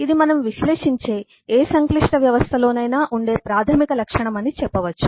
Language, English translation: Telugu, this is a basic property that eh, uh, we say will exist in any complex system that we analyze now